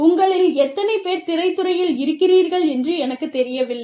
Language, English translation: Tamil, I do not know, how many of you, are in the film industry